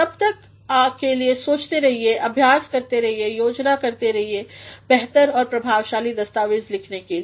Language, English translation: Hindi, Till then keep thinking, keep revising, keep planning to write better and effective documents